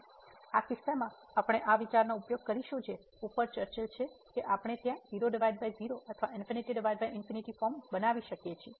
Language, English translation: Gujarati, So, in this case we will use this idea which is discussed above that we can make either 0 by 0 or infinity by infinity form